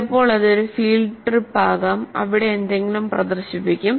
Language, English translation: Malayalam, Sometimes it can be a field trip where something is demonstrated